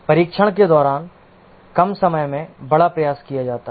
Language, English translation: Hindi, During testing significantly larger effort is done in a shorter time